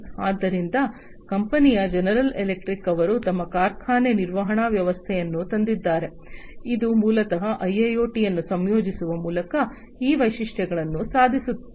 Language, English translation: Kannada, So, the company general electric, they have come up with their factory maintenance system, which basically achieves these features through the incorporation of IIoT